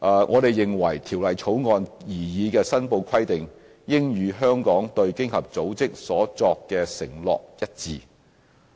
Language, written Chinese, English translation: Cantonese, 我們認為，《條例草案》擬議的申報規定應與香港對經合組織所作的承諾一致。, In our opinion the reporting requirements proposed in the Bill should be in line with Hong Kongs commitment made to OECD